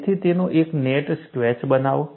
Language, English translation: Gujarati, So, make a neat sketch of it